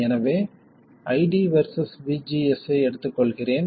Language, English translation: Tamil, Now what does ID versus VDS look like